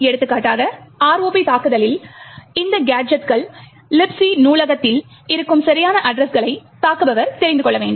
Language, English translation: Tamil, For example, in the ROP attack, the attacker would need to know the exact addresses where these gadgets are present in the Libc library